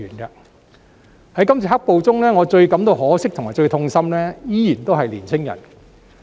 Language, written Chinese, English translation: Cantonese, 在今次"黑暴"中，我感到最可惜和最痛心的依然是年青人。, With regard to the black - clad violence incidents the participation of young people is after all the most regrettable and heart - rending part for me